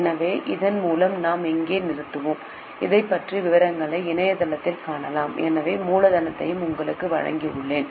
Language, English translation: Tamil, So, with this we will stop here, you can see the details about this on internet, so I have given you the source as well